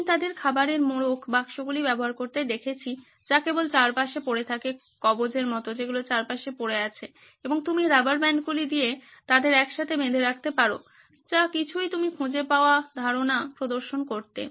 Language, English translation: Bengali, I have seen them use food wraps, boxes that are lying around just trinkets that are lying around and you can pull rubber bands for tying them altogether, whatever you can find just to get what the idea represent